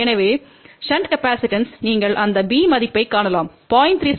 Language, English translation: Tamil, So, the shunt capacitance you can see that b value will be 0